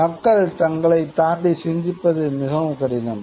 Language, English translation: Tamil, People find it very difficult to think beyond them